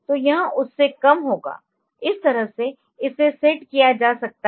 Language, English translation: Hindi, So, it will be less than that that way it can be set